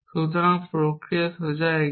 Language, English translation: Bengali, So, the process is straight forward